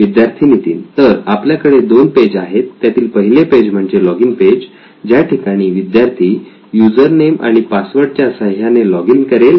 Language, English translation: Marathi, So we have two pages, the first page would be a login page where the student would login with a username and password